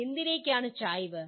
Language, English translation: Malayalam, What is the bias